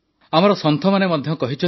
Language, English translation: Odia, Our saints too have remarked